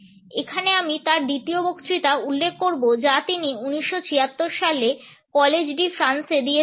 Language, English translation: Bengali, Here, I would refer to his second lecture which he had delivered in College de France in 1976